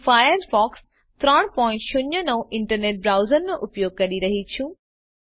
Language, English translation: Gujarati, I am using Firefox 3.09 internet browser